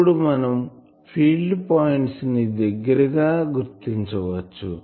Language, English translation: Telugu, Now, let us consider the field components more closely